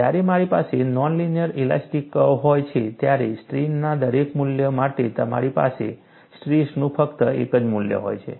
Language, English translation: Gujarati, When I have a non linear elastic curve, for every value of strain, you have only one value of stress; there is no difficulty at all